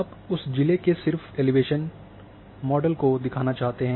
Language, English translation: Hindi, So, you want to show only that elevation model of that district